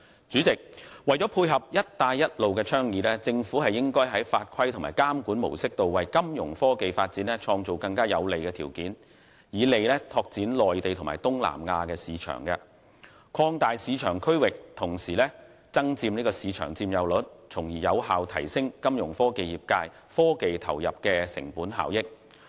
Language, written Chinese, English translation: Cantonese, 主席，為配合"一帶一路"的倡議，政府應在法規和監管模式方面為金融科技發展創造更有利的條件，以利拓展內地及東南亞市場，擴大市場區域同時增佔市場佔有率，從而有效提升金融科技業界科技投入的成本效益。, President in order to dovetail with the Belt and Road Initiative the Government should create more favourable conditions for Fintech development when formulating rules regulations and regulatory modes so as to facilitate business expansion to the Mainland and Southeast Asian markets increase our market size and market share and in turn effectively enhance the cost - effectiveness of technological commitment made by the Fintech industry